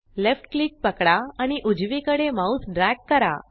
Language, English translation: Marathi, Hold left click and drag your mouse to the right